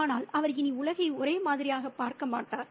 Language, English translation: Tamil, He will never see the world the same anymore